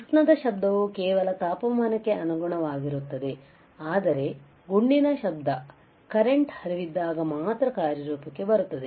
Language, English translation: Kannada, It is just a thermal noise is proportional to the temperature also, but shot noise only comes into effect when there is a flow of current